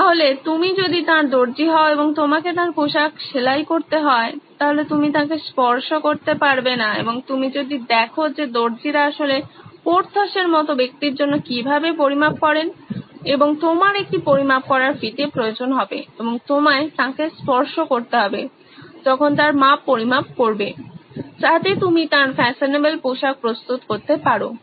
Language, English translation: Bengali, So if you are his tailor and you have to get his clothes stitched for him, you cannot touch him and if you go by how tailors actually measure for a person like Porthos who’s well built and burly you are going to need a measuring tape and you are going to have to touch him to measure his dimensions, so that you can get his fashionable clothes ready